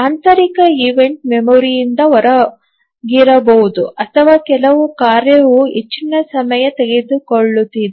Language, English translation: Kannada, The internal event may be, that may be the memory, out of memory, or maybe some task is taking too much time